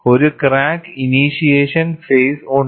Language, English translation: Malayalam, There is a crack initiation phase